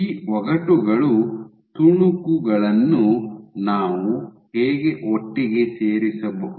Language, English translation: Kannada, So, how can we put the pieces of the puzzle together